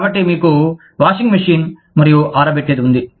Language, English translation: Telugu, So, you had a washing machine, and a dryer